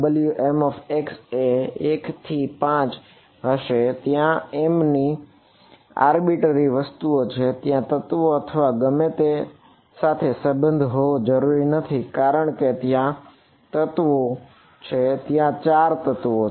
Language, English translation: Gujarati, W m x will be from 1 to 5 where m is some arbitrary thing m need not have a correlation with the elements or whatever I mean because there are how many elements there are 4 elements